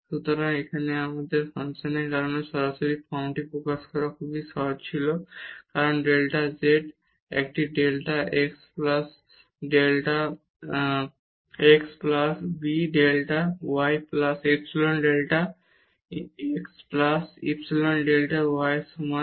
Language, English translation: Bengali, So, here it was very easy directly because of this function to express in this form as delta z is equal to a delta x plus b delta y plus epsilon delta x plus epsilon delta y